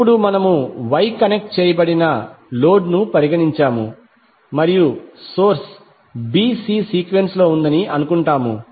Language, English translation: Telugu, Now since we have considered the Y connected load and we assume the source is in a b c sequence